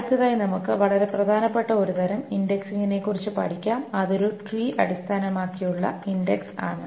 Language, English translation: Malayalam, So, next we will start on one very important type of indexing which is the tree based indexing